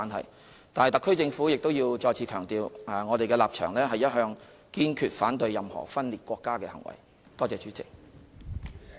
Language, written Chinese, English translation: Cantonese, 可是，特區政府亦要再次強調，我們的立場一向是堅決反對任何分裂國家的行為。, But the HKSAR Government must emphasize once again that it is our long - standing position to oppose any acts of secession